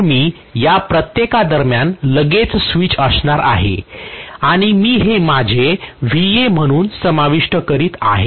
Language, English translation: Marathi, So I am going to have switches right across each of these and I am including this as my Va